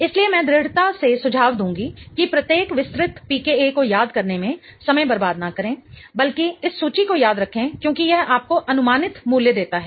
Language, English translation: Hindi, So, I would strongly suggest not to waste time in remembering each and every detailed PCA but rather remember this chart because it gives you an approximate value